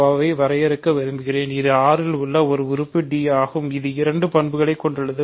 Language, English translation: Tamil, So, I want to define a gcd of a and b is an element d in R such that it has two properties